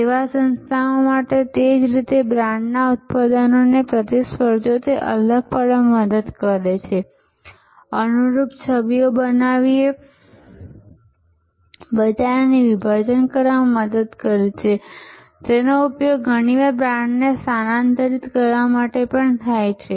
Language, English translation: Gujarati, In the same way to the service organizations, brand helps to differentiate the product from competitors, segment market by creating tailored images, it is also often used for repositioning the brand